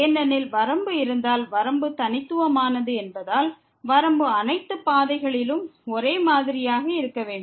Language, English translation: Tamil, Since, the limit if exist is unique the limit should be same along all the paths